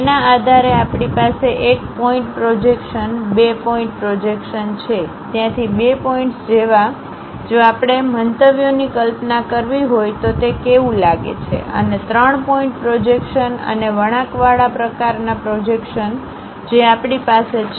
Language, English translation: Gujarati, Based on that we have 1 point projections, 2 point projections; like 2 points from there, if we have visualizing the views, how it looks like, and 3 point projections and curvilinear kind of projections we have